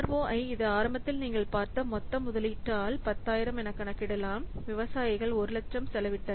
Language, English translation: Tamil, So, ROI, it can be computed as 10,000 by the total investment you have seen initially the farm has spent 1 lakh